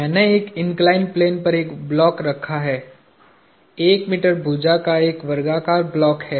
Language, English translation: Hindi, I have a block sitting on an inclined plane, a square block of side one meter